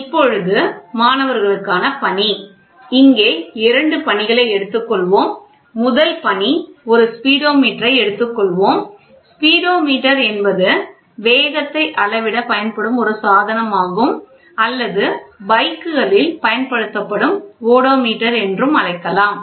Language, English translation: Tamil, So, task for students: So, let us take two tasks, the first task is let us take a Speedometer; Speedometer is a device which is used to measure the speed which is used or we can we call it as Odometer which is used in bikes